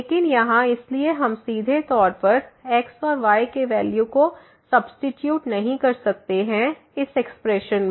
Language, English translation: Hindi, But here so we cannot substitute thus directly the value of and in this expression